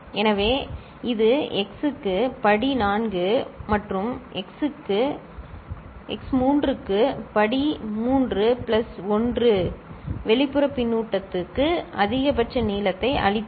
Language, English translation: Tamil, So, this also x to the power 4 plus x to the power 3 plus 1 gave maximum length for external feedback